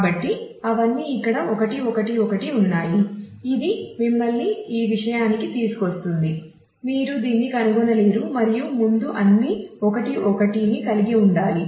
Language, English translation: Telugu, So, all of them are 1 1 1 here which brings you to this you cannot find it you go to this and all 1 1 ones in future will have to be